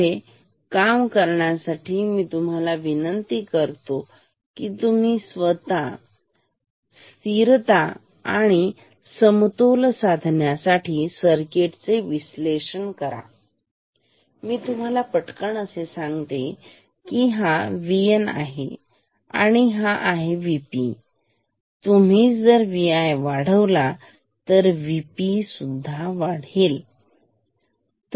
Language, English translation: Marathi, Before proceeding I request you that you do a stability and equilibrium analysis of the circuit on your own I just tell you very quickly that if ever say this, this is V N this is V P, if ever say you increase V i which will cause V N to increase ok